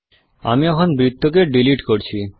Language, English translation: Bengali, Let me delete the circle now